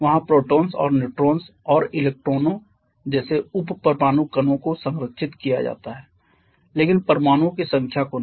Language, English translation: Hindi, There the subatomic particles like protons and neutrons and electrons they are conserved but not the number of atoms